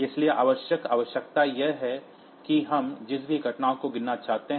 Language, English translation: Hindi, So, the essential requirement is that whatever event we want to count